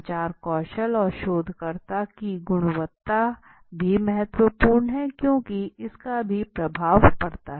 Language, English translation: Hindi, Finally the communication skill the quality of the researcher research is also important because it has a influence okay